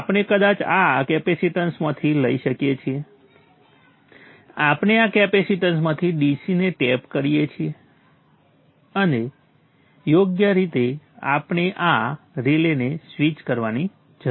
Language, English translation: Gujarati, We could probably take from this capacitance, we tap the DC from this capacitance and then appropriately feed it to this relay